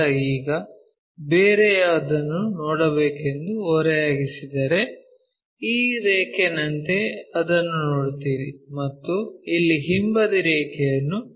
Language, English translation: Kannada, Now, if I tilt that you see something else, like this line you will see this one and also that backside line here you see this one